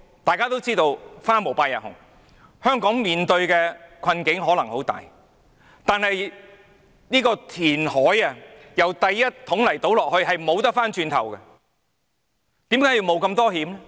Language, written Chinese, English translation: Cantonese, 大家也知道"花無百日紅"，香港面對的困境可能會很大，但是，如果進行填海，在第一桶沙倒下去以後便不能回頭，為何要冒如此大風險？, As we all know good times do not last forever . The difficulties facing Hong Kong may be great . However if reclamation is carried out after the first barrel of sand is dumped there is no turning back so why take such a great risk?